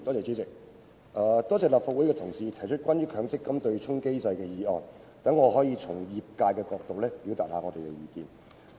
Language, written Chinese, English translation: Cantonese, 主席，多謝立法會的同事提出關於"取消強制性公積金對沖機制"的議案，讓我可以從業界的角度表達我們的意見。, President I thank my colleague in this Council for moving a motion on Abolishing the Mandatory Provident Fund offsetting mechanism which allows me to express views from the perspective of my sector